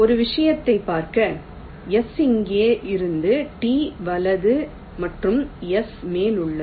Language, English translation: Tamil, for look at one thing: the s is here, t is to the right and to the top of s